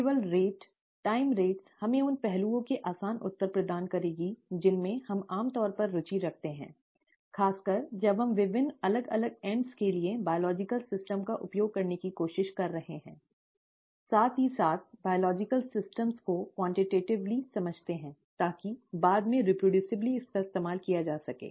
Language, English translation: Hindi, Only rate, time rates would provide us with easy answers to aspects that we are usually interested in, especially when we are trying to use biological systems for various different ends, as well as understand biological systems quantitatively so that it can be reproducibly used later on